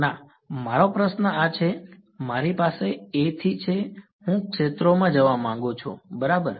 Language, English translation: Gujarati, No; my question is this, I have from A I want to get to fields right